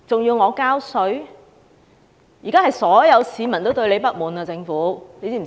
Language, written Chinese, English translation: Cantonese, 現時所有市民都對政府不滿，知道嗎？, Right now everyone in Hong Kong is angry with the Government . Does the Government know that?